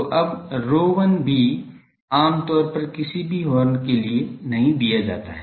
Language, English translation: Hindi, So, now rho 1 is also generally not given for any horn